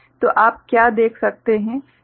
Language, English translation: Hindi, So, what you can see